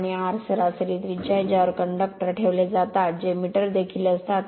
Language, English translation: Marathi, And r is average radius at which conductors are placed that is also metre